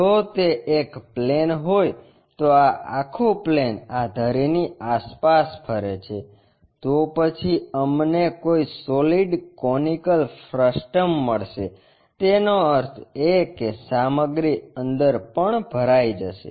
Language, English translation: Gujarati, If, it is a plane this entire plane revolves around this axis, then we will get a conical frustum of solid object; that means, material will be filled inside also